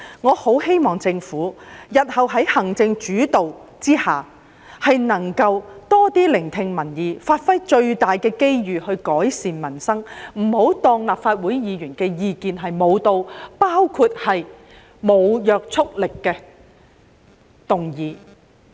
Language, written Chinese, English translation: Cantonese, 我很希望日後在行政主導之下，政府能夠多聆聽民意，把握最大的機遇來改善民生，不要不理會立法會議員的意見，包括無約束力的議案。, I hope that in the future when we are under an executive - led administration the Government can listen more to the people and make the most out of the opportunities to improve peoples livelihood and that it will not disregard the views of Legislative Council Members including those proposed in motions with no legislative effect